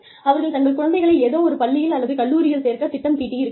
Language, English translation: Tamil, They may have made plans, to put their children, in a particular school or college